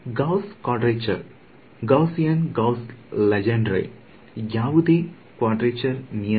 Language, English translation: Kannada, Gauss quadrature Gaussian Gauss Legendre any quadrature rule